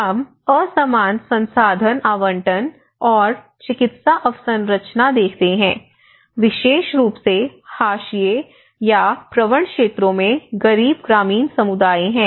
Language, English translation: Hindi, Even here, we notice that there is an unequal resource allocation and access to medical infrastructure, especially the marginalized communities or mostly prone areas are the poor rural communities or the poverty you know communities